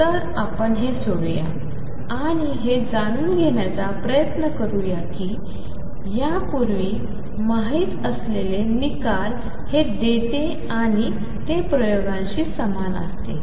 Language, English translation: Marathi, So, we will solve this and try to see if this gives the results that were known earlier